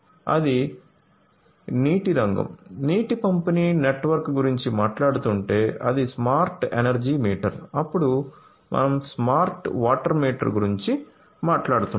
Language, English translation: Telugu, So, then it is the smart energy meter if we are talking about the water sector, water distribution network, then we are talking about the smart water meter